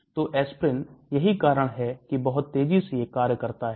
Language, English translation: Hindi, So aspirin, that is why it acts very fast